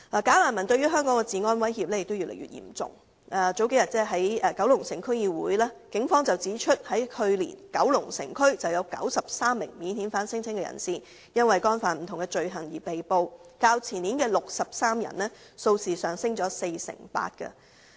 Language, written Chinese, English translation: Cantonese, "假難民"對香港治安的威脅越來越嚴重，警方數天前在九龍城區議會會議上指出，九龍城區去年有93名免遣返聲請人士因干犯不同罪行被捕，較前年的63人，數字上升了四成八。, The threat posed by bogus refugees to law and order in Hong Kong has become increasingly serious . As pointed out by the Police at the Kowloon City District Council meeting a few days ago 93 non - refoulement claimants were arrested for different offences in Kowloon City last year . The number has increased by 48 % from 63 of the year before